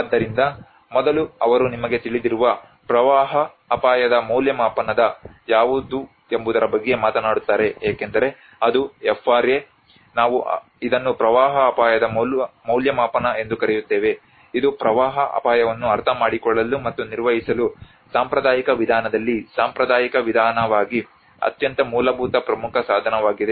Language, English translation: Kannada, So first they talk about what is a flood risk assessment you know because that is FRA, we call it as flood risk assessment that is a very basic key tool as a traditional approach in the traditional approach to understand and managing the flood risk